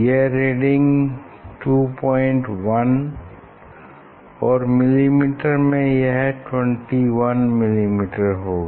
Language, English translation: Hindi, total will be 21 millimeter, and this is 0